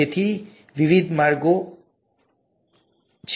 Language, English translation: Gujarati, So there are various ways